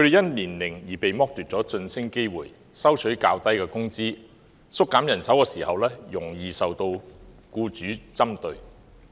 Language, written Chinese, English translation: Cantonese, 他們因年齡而被剝奪晉升機會、收取較低工資、在縮減人手時容易受僱主針對。, On account of their age they were denied a job promotion received lower salaries and were targeted for redundancy in organizational restructuring